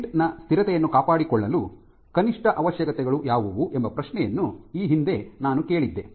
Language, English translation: Kannada, So, and I asked the question that what would be the minimum requirements for maintaining the stability of such a tent